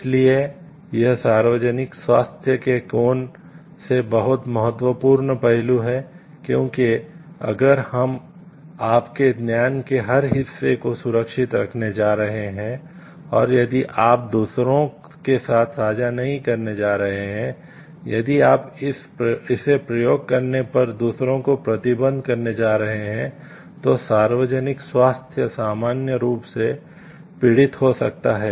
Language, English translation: Hindi, So, it is very very important aspect from the angle of public health because if you going to safeguard every part of your knowledge and if you are not going to share with others if you are going to restrict others on experimenting on it, then public health in general may suffer